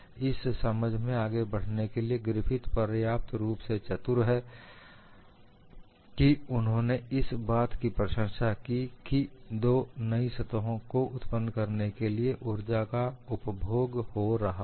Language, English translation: Hindi, To bring in this understanding, Griffith was intelligent enough to appreciate, that energy is being consumed to create two new surfaces